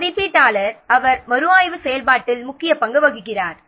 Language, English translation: Tamil, So moderator, he plays the key role in the review process